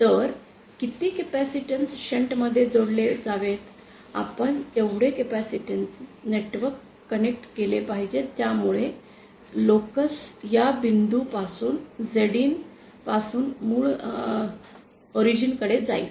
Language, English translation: Marathi, So, how much capacitance should be connected in shunt, we should connect that much capacitance that will cause the locus to move from this point Zin to the origin